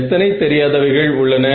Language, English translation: Tamil, So, how many unknowns are there